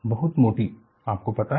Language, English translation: Hindi, Very thick, you know